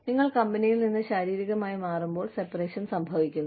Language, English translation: Malayalam, Separation occurs, when you physically move away, from the company